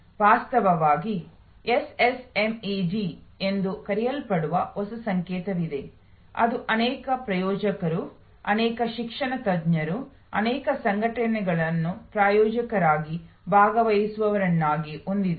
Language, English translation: Kannada, In fact, there is a new notation which is called SSMED which has many sponsors, many academicians, many organization as sponsors, as participants